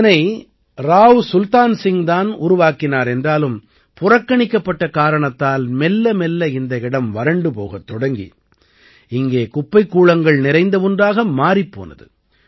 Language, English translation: Tamil, It was built by Rao Sultan Singh, but due to neglect, gradually this place has become deserted and has turned into a pile of garbage